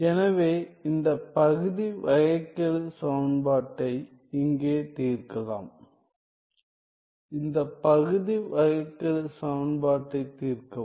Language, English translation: Tamil, So, here is one solve this partial differential equation; solve this partial differential equation